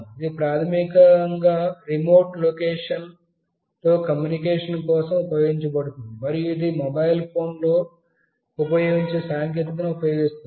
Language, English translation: Telugu, It is basically used for communication with the remote location, and it uses the same technology as used by the mobile phones